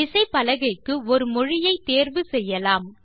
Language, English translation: Tamil, We need to select a language for the keyboard